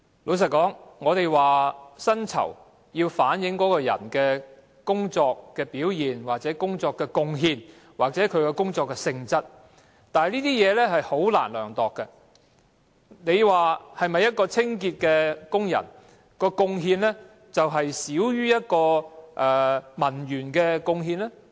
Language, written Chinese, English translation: Cantonese, 老實說，有人或會說薪酬要反映員工的工作表現或工作的貢獻或其工作性質，但這些準則均難以量度，你能否說一名清潔工人的貢獻少於一名文員的貢獻？, Frankly speaking some people may say that the salary reflects an employees performance or contribution at work or the nature of his job but these criteria can hardly be measurable . Can you say that a cleaning worker makes less contribution than a clerk?